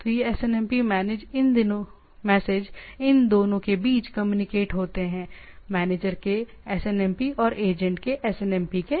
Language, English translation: Hindi, So, these SNMP messages are communicated between these two, in between these two SNMP of the manager and SNMP of the agent